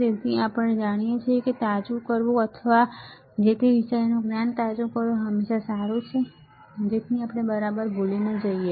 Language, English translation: Gujarati, So, it is always good to refresh whatever we know or brush up whatever we know so that we do not forget ok